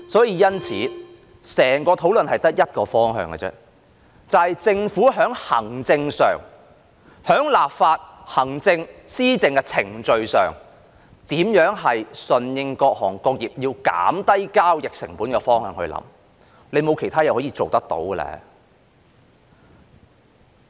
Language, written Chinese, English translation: Cantonese, 因此，整個討論只有一個方向，就是在行政、立法、施政的程序上，政府應從如何順應各行各業想減低交易成本的方向思考，沒有其他事情可以做到。, Hence the whole discussion should have only one direction . In respect of the administrative legislative and governance procedures the Government should ponder in the direction of how to respond to the wish of various trades and industries to reduce transaction costs . There is nothing else it can do